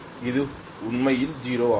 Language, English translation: Tamil, It is literally 0